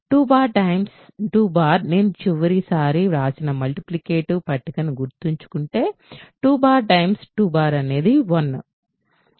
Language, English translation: Telugu, 2 bar times 2 bar if you remember the multiplication table that I wrote last time 2 bar times 2 bar is 1